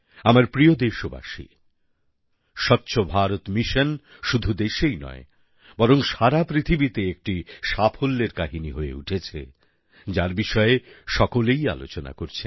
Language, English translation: Bengali, My dear countrymen, Swachh Bharat Mission or Clean India Mission has become a success story not only in our country but in the whole world and everyone is talking about this movement